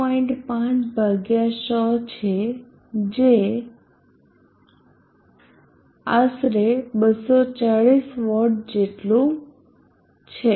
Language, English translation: Gujarati, 5/100 which is equal to about approximately 240W